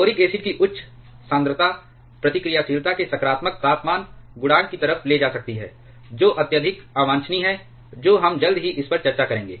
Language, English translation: Hindi, Higher concentration of boric acid may lead to positive temperature coefficient of reactivity which is highly undesirable we shall be discussing this shortly